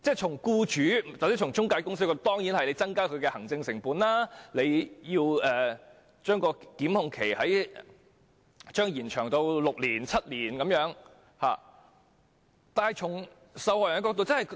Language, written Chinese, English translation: Cantonese, 從僱主或中介公司的角度來看，如將檢控期延長至6年或7年，當然會增加行政成本。, From the perspective of employers or intermediaries an extension of the time limit for prosecution to six or seven years will certainly increase the administrative costs